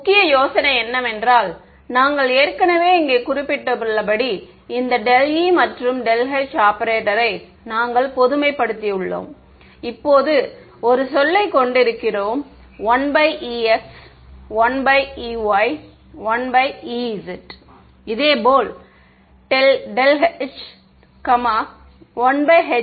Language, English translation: Tamil, And the key idea was as we already mentioned over here, we have generalized this del e and del h operator, to now have a 1 by e x 1 by e y 1 by e z term, similarly for the h 1 by h x 1 by h y 1 by h z ok